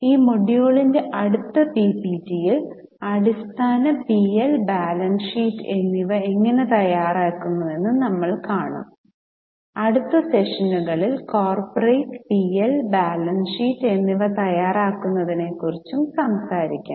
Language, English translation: Malayalam, And in the next PPPT of this module, we will see how basic P&L and balance sheet is prepared so that in next sessions we can talk about preparation of corporate P&L and balance sheet